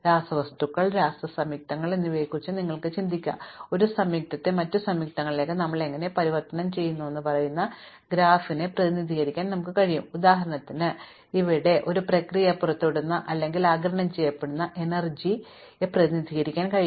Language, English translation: Malayalam, You can think of say chemicals, chemical compounds and we can represent the graph saying how we transform one compound to other compound, and here for instance edge weight can represent the energy which is either released or absorbed in this process